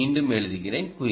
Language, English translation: Tamil, let me re write it: q